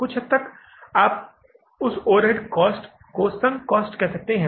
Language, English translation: Hindi, To some extent you can call that overhead cost as a sunk cost